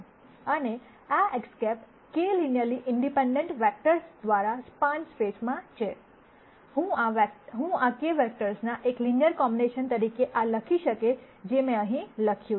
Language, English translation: Gujarati, And because this X hat is in a space spanned by this k linearly independent vectors, I can write this as a linear combination of these k vectors; which is what I have written here